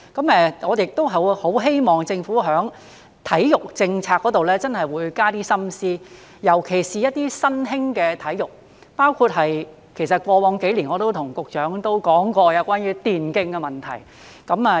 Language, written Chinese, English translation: Cantonese, 我很希望政府在體育政策真的會多加一點心思，尤其是一些新興的體育，包括我過往數年也對局長說過關於電競的問題。, I very much hope that the Government will really put more thought into its sports policy especially in respect of some emerging sports including the issue of electronic sports e - sports which I have raised to the Secretary over the past few years